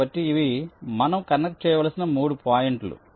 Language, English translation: Telugu, so these are the three points i have to connect